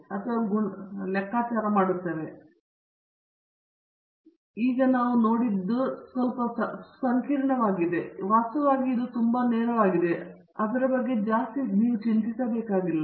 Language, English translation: Kannada, Okay now, we are looking at something, which is apparently very complicated; itÕs in fact quite straight forward, you do not want have to worry too much about it